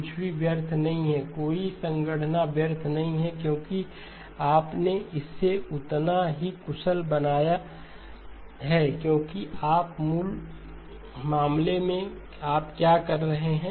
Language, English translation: Hindi, Nothing is wasted, no computation is wasted because you made it as efficient as you can because in the original case what were you doing